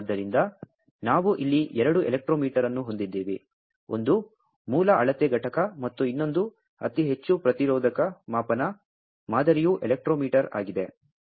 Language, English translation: Kannada, So, we have two electrometer here, one is a source measure unit and another one is a very high resistive measurement type electrometer